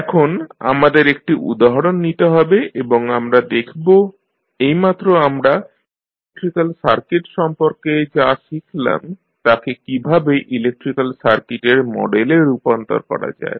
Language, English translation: Bengali, Now, let us take one example and we will see how the knowledge which we have just gathered related to electrical circuit how we can transform it into the model of the electrical circuit